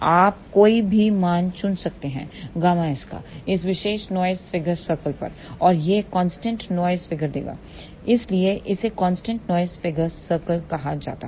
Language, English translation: Hindi, You can choose any value of gamma s on this particular noise figure circle and that will give constant noise figure that is why it is known as constant noise figure circle